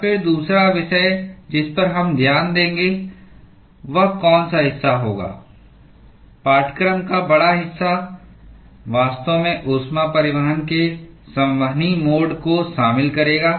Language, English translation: Hindi, And then the second topic that we will look at which will be the chunk major chunk of the course will actually involve convective mode of heat transport